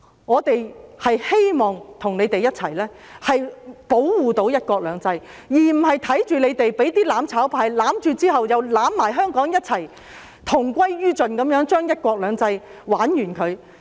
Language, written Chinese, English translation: Cantonese, 我們希望與你們一起保護"一國兩制"，而不是看着你們被"攬炒派"攬着，與香港同歸於盡，令"一國兩制"玩完。, We want to work with you to uphold one country two systems instead of seeing you being held by the mutual destruction camp and perish together with Hong Kong and one country two systems